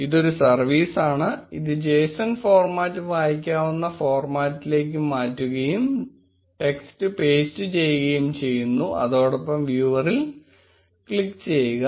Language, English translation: Malayalam, This is a service, which converts json format into a readable format, paste the text and click on viewer